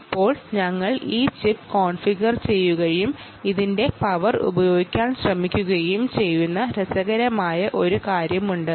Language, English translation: Malayalam, now there is something interesting: that we have configured this ah chip and trying to use its power